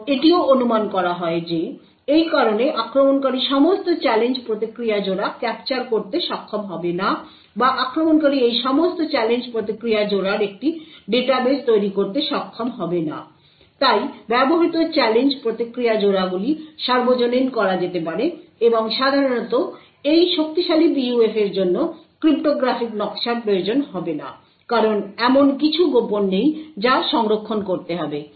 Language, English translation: Bengali, And it is also assumed that because of this the attacker will not be able to capture all the Challenge Response Pairs or attacker will not be able to build a database of all these challenge response pairs therefore, the used challenge response pairs can be made public and typically these strong PUF will not require cryptographic scheme because there is nothing secret which needs to be stored